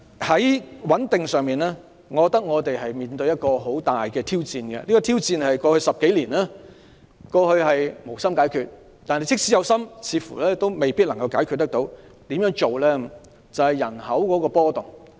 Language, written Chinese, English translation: Cantonese, 在穩定方面，我們面對很大的挑戰，在過去10多年，當局無心解決這挑戰，即使有心，似乎也未必能夠解決，這挑戰便是人口的波動。, In terms of stability we are facing an enormous challenge . In the past decade or so the authorities did not have the heart to face up to this challenge . Even if they did they might not be able to do it